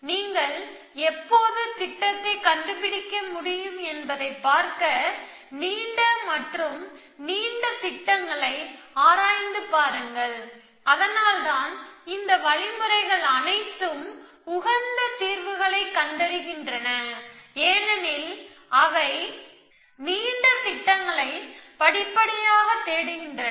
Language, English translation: Tamil, Keep exploring longer and longer plans to see when you can find the plan and because of that all these algorithms, end of finding the optimum solutions as well because they incrementally search for longer plans